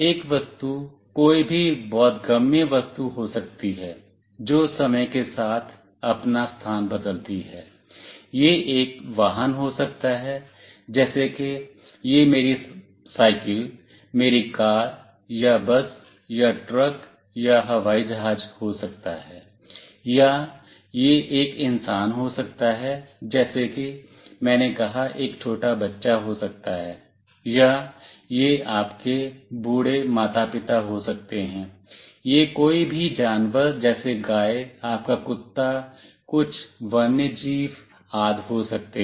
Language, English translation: Hindi, An object can be any conceivable thing that changes its location over time, it could be a vehicle like it could be my bicycle, my car or a bus or a truck or an airplane, or it could be a human being, as I said it could be a small kid or it could be your old parents, it could be any animal like a cow, your dog, some wildlife etc